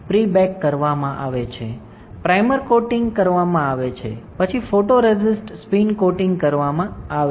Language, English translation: Gujarati, So, pre bake is done, primer coating is done, then photoresist spin coating is done